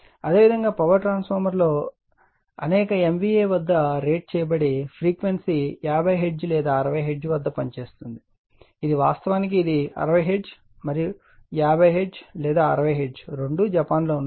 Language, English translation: Telugu, And similarly for power transformer rated possibly at several MVA and operating at a frequency 50 Hertz or 60 Hertz that is USA actually it is 60 Hertz and 50 Hertz or 60 Hertz both are there in Japan, right